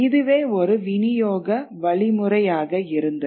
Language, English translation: Tamil, So there is a distribution mechanism